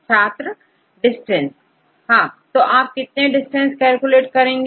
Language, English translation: Hindi, Distance; So how many distances you have to calculate